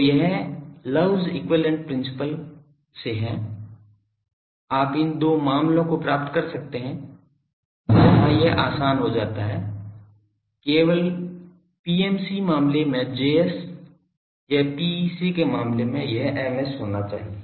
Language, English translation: Hindi, So, this is the from Love’s equivalence principle, you can get these 2 cases where it becomes easier only will have to have either this Js in PMC case or Ms in case of PEC ok